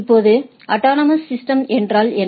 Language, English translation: Tamil, Now, what is a autonomous system